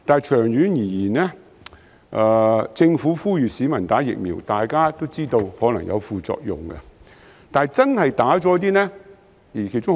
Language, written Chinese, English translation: Cantonese, 長遠而言，政府呼籲市民接種疫苗，而大家皆知道，接種後可能會出現副作用。, The Government urges people to receive vaccination in the long run and as Members all know there may be side effects after vaccination